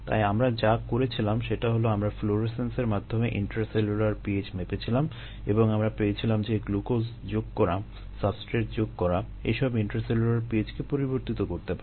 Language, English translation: Bengali, we um measure intracellular p h through florescence, and we found that glucose addition, the addition of the substrate, can modify intracellular p h